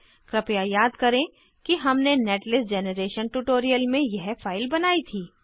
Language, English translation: Hindi, Please recall that we had generated this file in the netlist generation tutorial